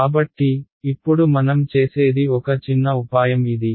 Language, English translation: Telugu, So, what I do now is this is the little bit of a trick